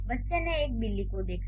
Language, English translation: Hindi, The child saw a cat